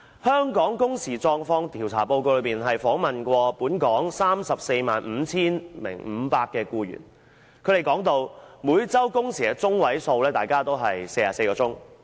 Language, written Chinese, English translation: Cantonese, 香港工時狀況調查報告指出，有關的調查曾訪問本港 345,500 名僱員，他們表示每周工時的中位數是44小時。, The report of a survey on the working hours of Hong Kong has pointed out that according to the 345 500 local employees interviewed in the survey their median weekly working hours is 44 hours